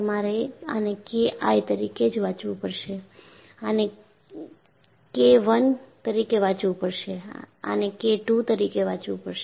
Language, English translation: Gujarati, You have to read this as K I, read this as K II and read this as K III